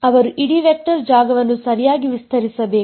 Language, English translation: Kannada, They should span the whole vector space right